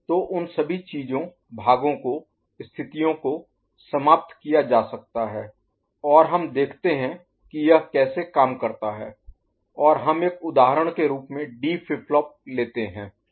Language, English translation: Hindi, So, all those things, parts can be you know, conditions can be eliminated, and let us see how it works and we take a D flip flop as an example ok